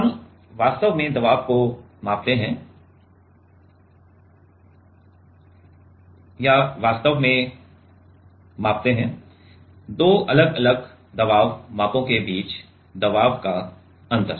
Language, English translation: Hindi, We actually measure pressure or measure actually, difference of pressure between two different pressure measurands